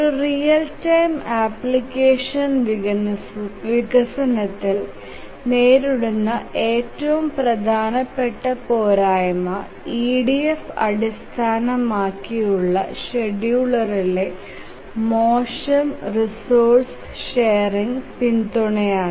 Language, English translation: Malayalam, The most important shortcoming that is faced in a application, real time application development is poor resource sharing support in EDF based scheduler